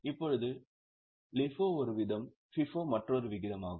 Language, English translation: Tamil, Now, LIFO is one extreme, FIFO is another extreme